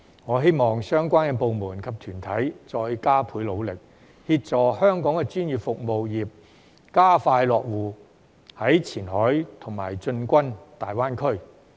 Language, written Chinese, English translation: Cantonese, 我希望相關部門及團體再加倍努力，協助香港的專業服務業加快落戶前海和進軍大灣區。, I hope that the relevant departments and organizations will put in extra efforts to assist Hong Kongs professional services sectors to establish their presence in Qianhai and tap into the GBA market more expeditiously